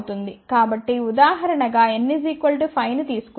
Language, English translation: Telugu, So, let take a simple example of n equal to 5